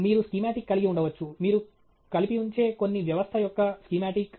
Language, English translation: Telugu, You can have schematic; the schematic of some system that your putting together